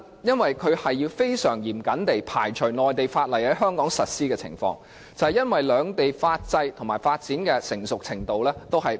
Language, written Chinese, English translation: Cantonese, 就是要極度嚴謹地排除內地法例在香港實施的情況，因為兩地的法制及發展的成熟程度並不相同。, Because this can strictly rule out the possibility of applying Mainland laws in Hong Kong since the legal system and maturity level of the two places are not the same